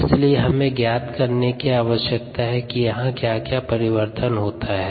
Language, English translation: Hindi, so we need to find out what changes here